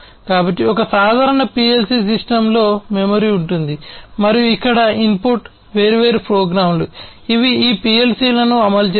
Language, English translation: Telugu, So, a typical PLC system has memory, and the input over here are different programs, which run these PLC’s